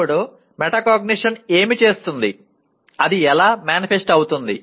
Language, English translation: Telugu, Now further what does metacognition, how does it manifest